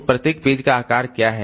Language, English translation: Hindi, What can be the page size